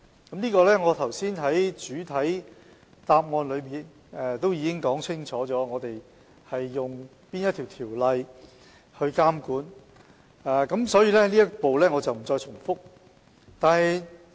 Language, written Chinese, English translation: Cantonese, 就此，我剛才在主體答覆中已清楚說明我們引用哪項條例去監管，所以這部分我不再重複。, In this connection I have clearly stated in the main reply under ordinances impose regulation so I shall not make any repetition here